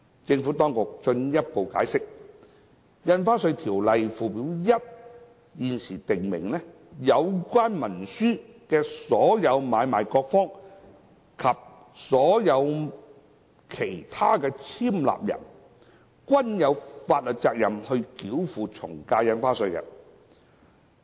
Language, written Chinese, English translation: Cantonese, 政府當局進一步解釋，《條例》附表1現時訂明，有關文書的所有買賣各方及所有其他簽立人，均有法律責任繳付從價印花稅。, The Administration has further explained that the First Schedule to the Ordinance currently provides that all parties of the instrument and all other persons executing the instrument are liable for the payment of AVD